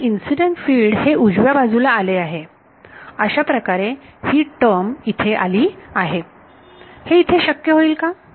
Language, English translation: Marathi, And, incident field appeared on the right hand side that is how this term up came over here, will that happen here